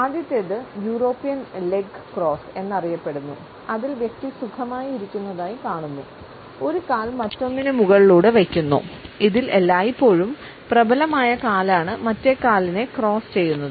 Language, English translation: Malayalam, The first is known as the European leg cross, in which we find that the person is sitting comfortably, dripping one leg over the other; it is always the dominant leg which crosses over the other